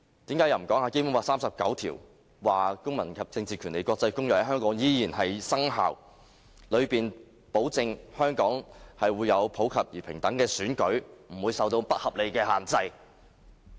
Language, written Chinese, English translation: Cantonese, 此外，為何不談談《基本法》第三十九條，說《公民權利和政治權利國際公約》在香港仍然生效，其中保證香港會有普及而平等的選舉，不會受到不合理的限制？, Also why dont they talk about Article 39 which provides that the International Covenant on Civil and Political Rights shall continue to be in force in Hong Kong free from any unreasonable restriction?